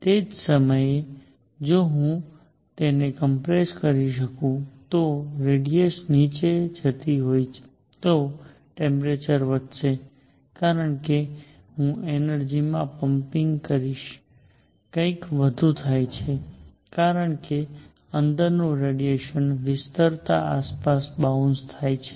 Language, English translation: Gujarati, At the same time, if I were to compress it if the radius was going down the temperature would go up because I will be pumping in energy something more happens as the radiation inside bounces around the cavity as it expands